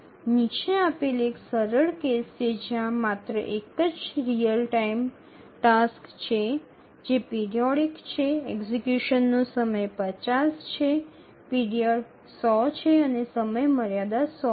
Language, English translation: Gujarati, Let's consider there is a very simple case where there is only one real time task which is periodic, the period is 50, sorry, the execution time is 50, the period is 100 and the deadline is 100